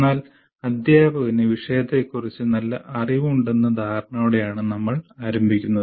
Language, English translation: Malayalam, But we start with the assumption that the teacher has a good knowledge of subject matter